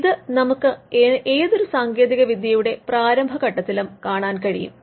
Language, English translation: Malayalam, So, we see this in all technologies during the early stage of their life